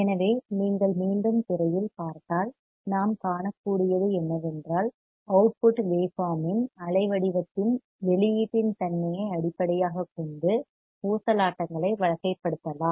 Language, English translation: Tamil, So, if you come back on the screen, what we can see is that the oscillators can be classified based on the nature of output of the waveform nature of the output waveform the parameters used the range of frequency, etc etc